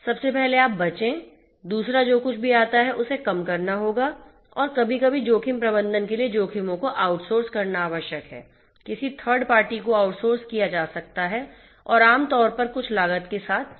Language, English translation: Hindi, First of all you avoid; second is whatever comes in you will have to mitigate and sometimes for risk management it is if you know sometimes required to outsource the risks; outsourced to a third party and may be typically with at some cost right